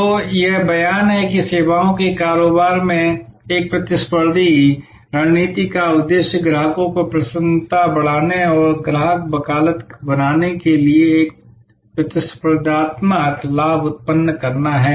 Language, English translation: Hindi, So, this is a statement that the objective of a competitive strategy in services business is to generate a competitive advantage to enhance customers delight and create customer advocacy